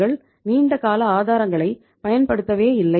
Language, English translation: Tamil, We are not utilizing the long term sources at all